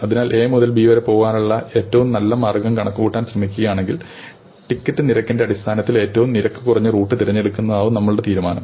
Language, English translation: Malayalam, So, if you are trying to compute the best way to go from A to B, your motivation might be to choose the cheapest route in terms of the ticket cost